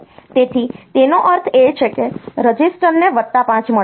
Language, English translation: Gujarati, So, that means, the a register will get a plus 5